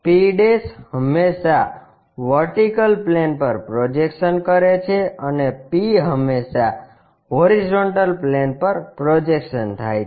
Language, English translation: Gujarati, p' is always be projection on VP and p is the projection on HP